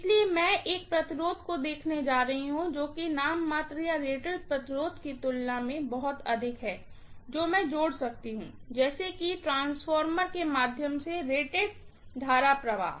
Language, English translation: Hindi, So, I am going to look at a resistance which is way too high as compared to the nominal or rated resistance that I may connect, such that the rated current flows through the transformer